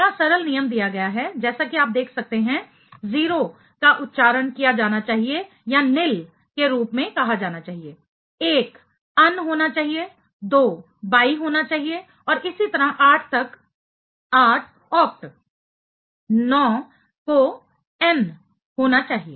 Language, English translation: Hindi, The simple rule here is given as you can see 0 should be pronounced or should be stated as nil, 1 should be un, 2 should be bi and so on up to 8 should be oct, 9 should be enn